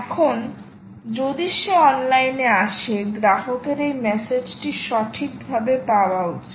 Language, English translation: Bengali, now, if he comes online, the consumer should get this message right